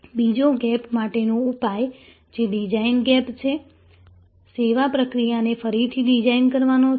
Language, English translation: Gujarati, The remedy for the second gap, which is the design gap, is to redesign the service process